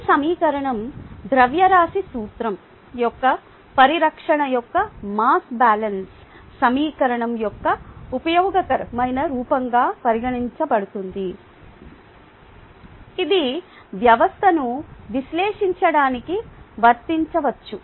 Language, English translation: Telugu, this equation, right, can be considered as a useful form of the mass balance equation, of the conservation of mass principle, ah, which can be applied to analyze a system